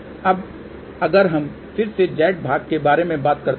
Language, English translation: Hindi, Now, if we thing about again the Z parts